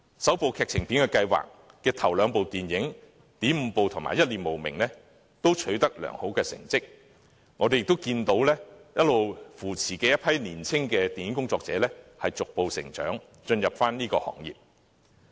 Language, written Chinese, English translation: Cantonese, "首部劇情電影計劃"之下的首兩齣電影，"點五步"及"一念無明"，也取得良好成績，我們亦看到一直扶持的一批年青電影工作者逐步成長，進入行業。, The first two movies made with the aid of the First Feature Film Initiative Weeds on Fire and Mad World have both achieved good results . We also see a group of young film practitioners gradually maturing under long - term mentorship and make their debuts in the industry